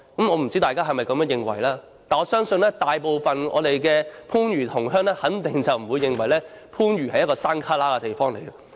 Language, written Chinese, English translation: Cantonese, 我不知道大家是否也這樣認為，但是，我相信大部分的番禺同鄉肯定不會認為番禺是偏僻地方。, I wonder if other Members will think likewise . But I believe most of the village fellows from Panyu will definitely not regard it as a remote area especially when Guangzhou South Railway Station is an interchange station